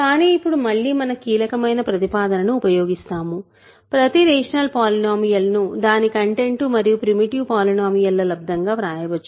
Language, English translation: Telugu, But now again we use our crucial proposition: every rational polynomial can be written as its content times a primitive polynomial